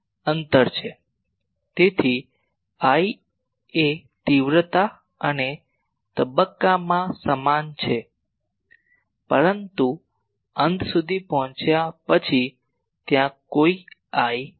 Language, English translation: Gujarati, So, I is uniform throughout in magnitude and phase, but after reaching here there is no I, after reaching here there is no I